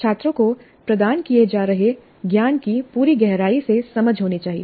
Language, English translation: Hindi, So the students must have a complete in depth understanding of the knowledge that is being imparted